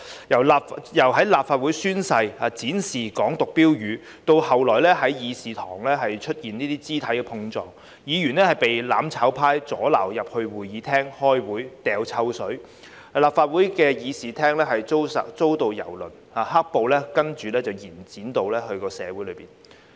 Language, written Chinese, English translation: Cantonese, 由立法會宣誓展示"港獨"標語，到後來議事堂出現肢體碰撞、議員被"攬炒派"阻撓進入會議廳開會、潑臭水、立法會議事廳遭到蹂躪，接着"黑暴"延展至社區。, We have observed the display of Hong Kong independence slogans at a Legislative Council oath - taking ceremony the subsequent physical clashes in the Chamber the obstruction of Members by the mutual destruction camp from entering the Chamber for meetings the hurling of stink bombs the vandalism of the Legislative Council Chamber and the spread of black - clad violence to the community